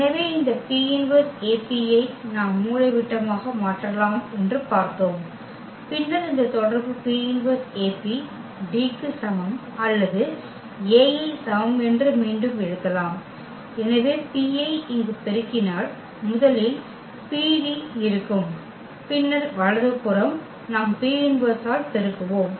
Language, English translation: Tamil, So, this P inverse AP what we have seen that A can be diagonalized then we have this relation P inverse AP is equal to D or we can rewrite it that A is equal to so we multiply by P here first there will be PD and then the right side we will multiply by P inverse